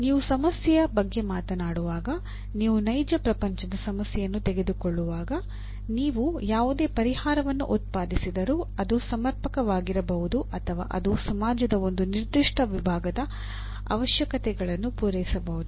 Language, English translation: Kannada, When you talk about a problem, when you take a real world problem, whatever solution you produce, it may be as per the, it may be adequate or it meets the requirements of a certain segment of the society